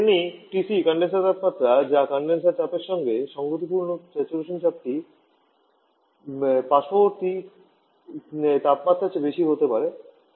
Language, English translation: Bengali, Similarly, TC the condenser temperature, which is the saturation pressure corresponding to the condenser pressure has to be greater than the surrounding temperature